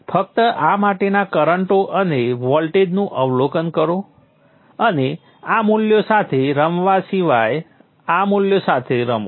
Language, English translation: Gujarati, Just observe the currents and the voltages for this too and play with these values